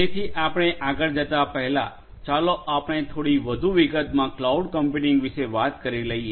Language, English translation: Gujarati, So, before we go in further, let us talk about cloud computing in little bit more detail